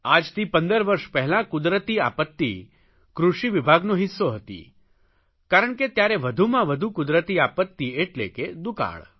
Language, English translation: Gujarati, About 15 years back natural calamity was a part of the Agricultural Ministry's realm because most of the calamities were limited to famine